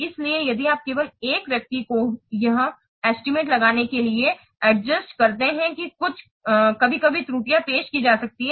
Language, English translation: Hindi, So if you are just giving only one person to estimate this, some there is some chance that errors may be introduced